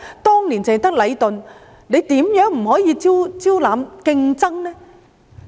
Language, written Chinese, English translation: Cantonese, 當年只有禮頓，現在為何不可以招攬競爭呢？, In the past there was only Leighton . Nowadays why can we not introduce competition?